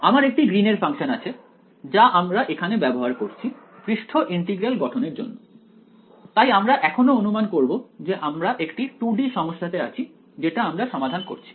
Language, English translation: Bengali, So, we have a Green’s function that where using over here for the surface integral formulation, we are keeping we are going to continue to assume that is the 2D problem that we are solving